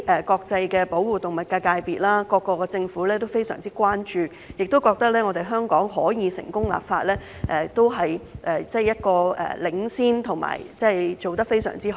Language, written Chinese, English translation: Cantonese, 國際保護動物界界別及各地政府均高度關注，認為香港成功立法，不但是一種領先表現，而且做得非常好。, The international animal protection sector and governments around the world were highly concerned about this . They considered the success of the legislation exercise in Hong Kong as proof of our leading role and outstanding performance